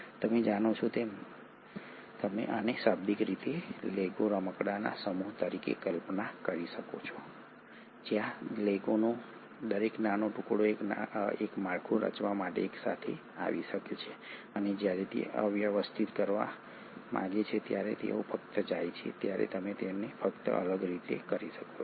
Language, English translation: Gujarati, You know you can literally visualize this as a set of Lego toys where each small piece of Lego can come together to form a structure and when it want to disarray they just go, you can just separate them